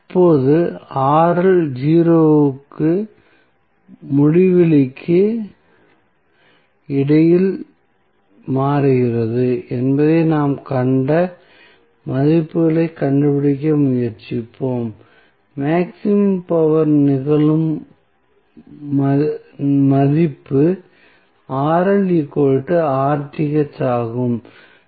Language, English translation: Tamil, So, now, let us try to find out the values we have seen that the Rl is changing between 0 to infinity, the value which at which the maximum power occurs is Rl is equal to Rth